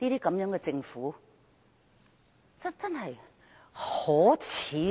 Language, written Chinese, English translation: Cantonese, 這樣的政府真是極為可耻！, Such a government is indeed grossly shameful!